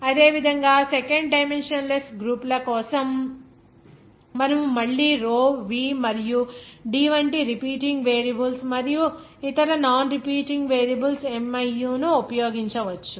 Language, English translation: Telugu, Similarly for 2nd dimensionless groups, you can again use that repeating variable of that row v and D and other non repeating variables here miu